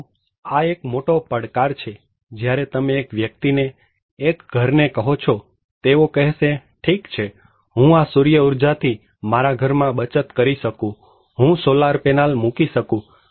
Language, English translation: Gujarati, but this is a great challenge, when you are asking one person; one household, they said okay, I can do this solar power energy saving house in my; I can put solar panel